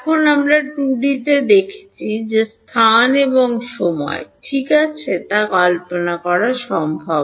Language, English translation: Bengali, Now, we have seen in 2D it is possible to visualize space and time ok